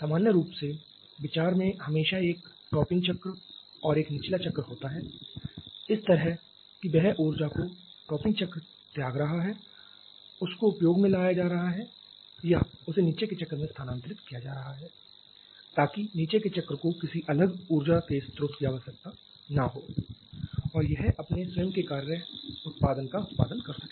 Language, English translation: Hindi, The idea general is always to have a topping cycle and a bottoming cycle such that the energy that the topping cycle is rejecting that is being utilized to or that is being transferred to the bottoming cycle so that the bottoming cycle does not need any separate source of energy and it can produce its own work output